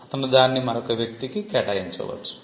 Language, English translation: Telugu, He may assign it to another person